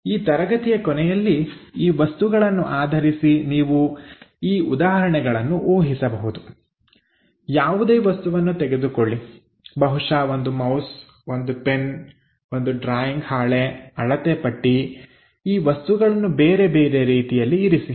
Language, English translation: Kannada, So, end of this class you have to guess these examples based on the object; pick any object perhaps mouse, may be your pen, may be a drawing sheet, scale, this kind of things keep it at different kind of orientation